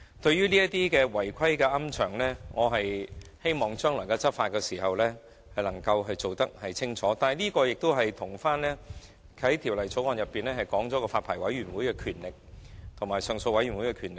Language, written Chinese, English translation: Cantonese, 至於違規龕場，我希望將來的執法工作會更為清晰，但這畢竟與《條例草案》所訂私營骨灰安置所發牌委員會及上訴委員會的權力有關。, As for the unauthorized columbaria I hope that the future enforcement actions will be more specific . After all this is related to the power vested in the Private Columbaria Licensing Board and the Appeal Board under the Bill